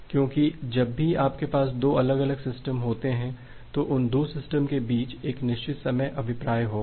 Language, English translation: Hindi, Because whenever you have 2 difference system there will be a certain clock drift between these 2 system